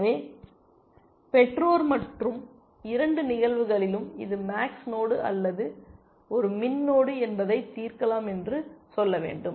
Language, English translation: Tamil, So, I should say that, parent and solved in both cases whether it is a max node or a min node